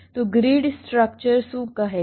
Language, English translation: Gujarati, so what does grid structure says